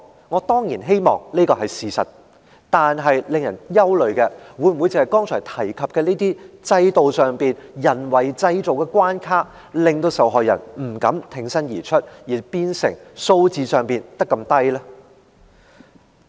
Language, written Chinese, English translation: Cantonese, 我當然希望這是事實，但令人憂慮的是，我剛才提及的那些制度上和人為造成的關卡會否令受害人不敢挺身而出，導致數字那麼低呢？, I surely hope that it does . But the worrying point is whether those institutional and man - made hurdles that I just mentioned have made the victims baulk at coming forward thus resulting in such a low figure